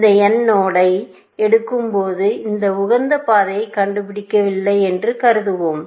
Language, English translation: Tamil, We will say that assume, that when it picks this node n, it has not found optimal path